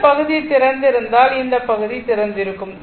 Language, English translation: Tamil, If their this part is open, this part is open